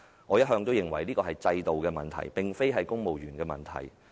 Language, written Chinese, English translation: Cantonese, 我一向認為這是制度問題，而非公務員的問題。, I have always considered this a problem with the system not the civil service